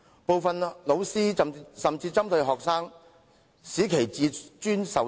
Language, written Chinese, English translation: Cantonese, 部分老師甚至針對學生，使其自尊受損。, Some teachers even pick on some students and hurt their pride